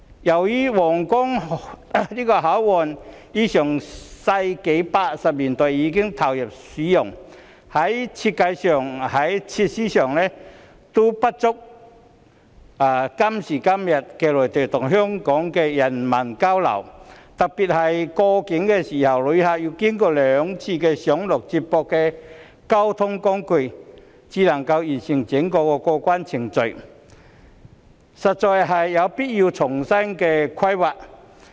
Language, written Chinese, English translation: Cantonese, 由於皇崗口岸於1980年代已投入使用，在設計及設施上皆不足以滿足今時今日內地與香港的人文交流，特別是旅客過境時要經過兩次上落接駁交通工具，才能完成整個過關程序，因此實在有必要重新規劃。, As Huanggang Port already commenced service in the 1980s its design and facilities have become incapable of meeting the present - day need for humanistic exchanges between the Mainland and Hong Kong . One notable example is that passengers must board and alight from feeder transport as they cross the boundary so as to complete the entire customs clearance procedure . Therefore it is honestly necessary to draw up fresh planning